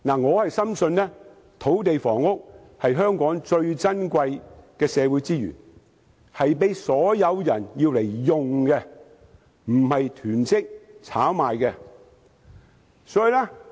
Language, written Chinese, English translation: Cantonese, 我深信土地房屋是香港最珍貴的社會資源，應供所有市民使用而不是作囤積或炒賣用途。, I firmly believe that land and housing being the most precious resources in Hong Kong should be opened for use by all members of the public not for hoarding or speculation purposes